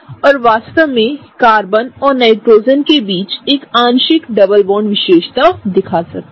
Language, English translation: Hindi, And can really show a partial double bond characteristic between the Carbon and Nitrogen